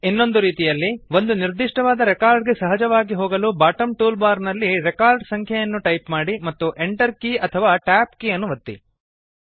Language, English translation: Kannada, Alternately, to simply go to a particular record, type in the record number in the bottom toolbar and press enter key or the tab key